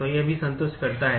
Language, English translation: Hindi, So, it also satisfies